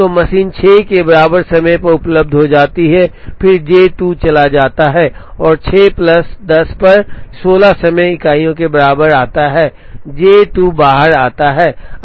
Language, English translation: Hindi, So, the machine becomes available at time equal to 6 and then J 2 goes and comes out at 6 plus 10 equal to 16 time units J 2 comes out